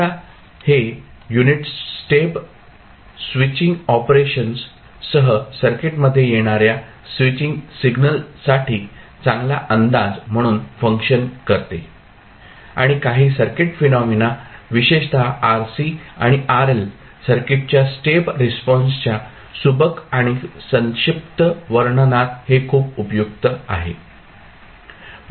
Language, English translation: Marathi, Now, these basically the unit step serves as a good approximation to the switching signals that arise in the circuit with the switching operations and it is very helpful in the neat and compact description of some circuit phenomena especially the step response of rc and rl circuit